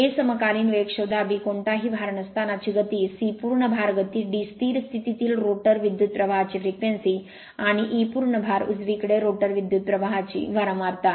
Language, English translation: Marathi, Find the a synchronous speed, b no load speed, c full load speed, d frequency of rotor current at standstill, and e frequency of rotor current at full load right